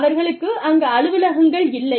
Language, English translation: Tamil, They do not have offices, there